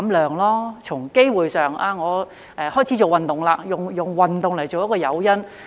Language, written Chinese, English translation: Cantonese, 在吸食的機會上，他可以開始做運動，用運動為誘因。, In terms of the incidence of smoking he or she can start doing exercise and use it as an incentive